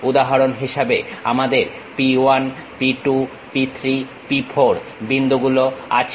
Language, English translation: Bengali, For example, we have point P 1, P 2, P 3, P 4